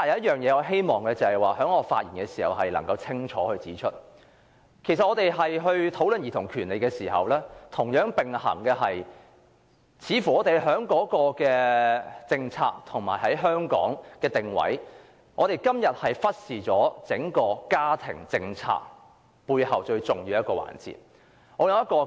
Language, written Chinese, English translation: Cantonese, 然而，我希望在這次發言中清晰指出，在討論兒童權利的同時，我們也須注意到，在今天的政策及定位方面，香港是忽視了整個家庭政策背後的一個最重要環節。, However I wish to point out clearly in my speech that in discussing childrens rights it should also be noted that our policy and positioning today have neglected a most important issue behind the entire family policy